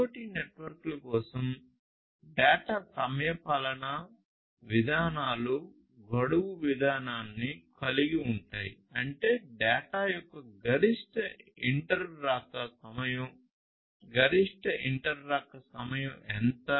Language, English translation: Telugu, Then data timeliness policies for IoT networks include the deadline policy; that means, the maximum inter arrival time of data; how much is the maximum inter arrival time